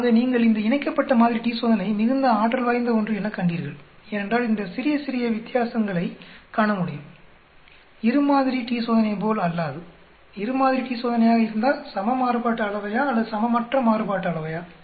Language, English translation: Tamil, So you noticed this paired sample t Test is very powerful because it can see small, small differences unlike a two sample t Test whether two sample t Test equal variance or unequal variance